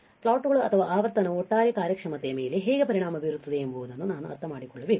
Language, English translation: Kannada, We had to understand how the plots or how the frequency will affect the overall performance right